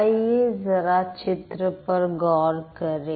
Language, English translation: Hindi, So, let's focus in the picture first